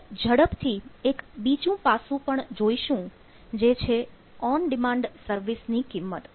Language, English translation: Gujarati, another aspect we will just quickly see the value of on demand services